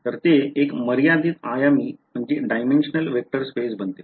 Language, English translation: Marathi, So, it becomes a finite dimensional vector space ok